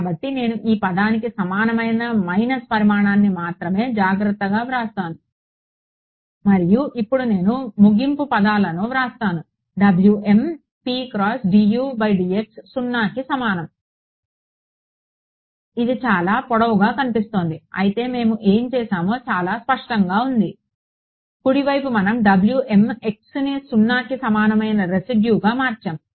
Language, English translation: Telugu, So, I will just write this little bit carefully the minus size only for this term is equal and plus now I will write the end point terms W m x p x dU by dx equal to 0 this looks very long, but I mean it was very clear what we did right we had W m x into a residual equal to 0 that was what we did